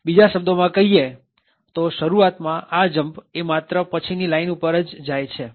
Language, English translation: Gujarati, So, in another words initially the jump is just to the next line